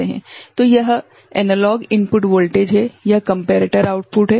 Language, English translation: Hindi, So, this is a analog input voltage these are the comparator outputs